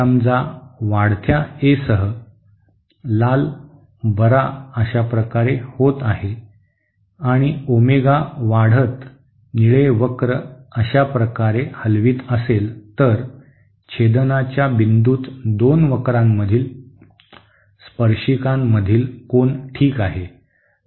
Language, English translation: Marathi, Suppose with increasing A, the red cure is moving like this and with increasing Omega the blue curve moves like this, then the angle between the tangents to the two curves at the point of intersection okay